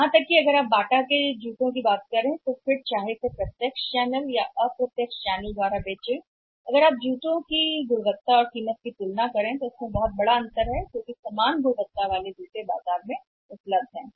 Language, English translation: Hindi, Even if you talk about the Bata Shoes branded shoe sold through the direct channel and indirect channel also if you compare the quality of the shoe and price of the shoe there is a big difference because same quality of the shoes is available in the market